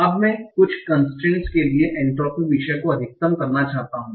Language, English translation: Hindi, Now, so I want to maximize my entropy subject to certain constants, right